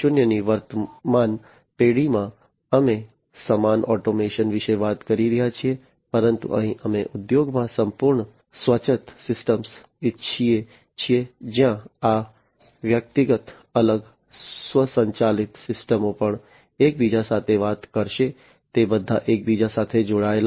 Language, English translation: Gujarati, 0, we are talking about the same automation, but here we want to have complete autonomous systems in the industry, where this individual, separate, automated systems will also be talking to each other, they will be all interconnected